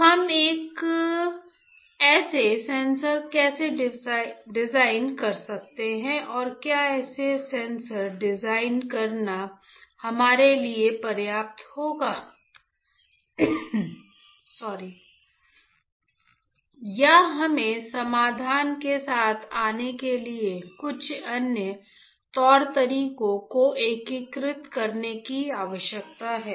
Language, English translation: Hindi, So, how can we design such sensors and whether designing such sensors will be sufficient for us or we need to integrate some other modalities to come up with a solution